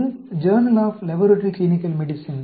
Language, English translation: Tamil, It is the Journal of Laboratory Clinical Medicine